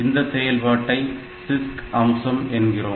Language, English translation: Tamil, So, this multiple load store is a CISC feature